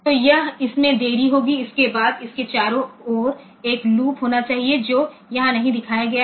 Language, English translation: Hindi, So, it will be delaying this, after this, there should be a loop around this that is not shown here